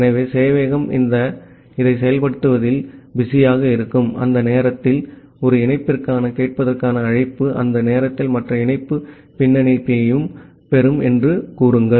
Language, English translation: Tamil, So, during that time when the server is busy in executing this say the listen call for one connection during that time the other connection will get backlog